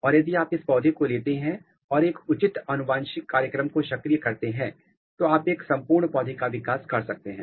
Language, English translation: Hindi, And, if you take this plant there is a genetic program through which you can activate a proper genetic program and you can generate a full plants or full plantlets